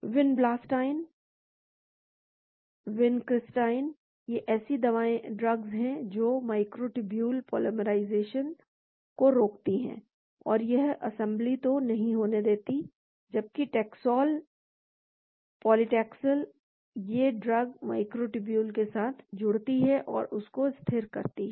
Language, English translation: Hindi, Vinblastine, vincristine; these are drugs that inhibit microtubule polymerization , so it does not allow the assembly, whereas Taxol; paclitaxel, that drug binds to and stabilizes the microtubule